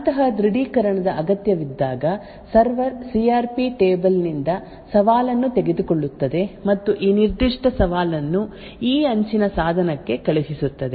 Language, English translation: Kannada, When such authentication is required, the server would pick up a challenge from the CRP table and send this particular challenge to this edge device